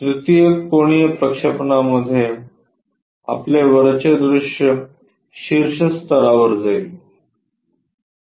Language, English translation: Marathi, In 3rd angle projection, your top view goes at top level